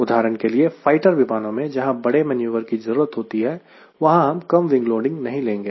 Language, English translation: Hindi, for example, if it is a fighter airplane where i need larger maneuver, i will not fly at a smaller wing loading